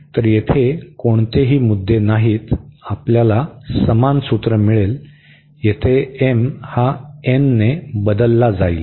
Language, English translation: Marathi, So, there is absolutely no issues, you will get the similar formula, this m will be replaced by n